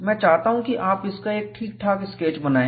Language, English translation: Hindi, And I would like you to make a neat sketch of it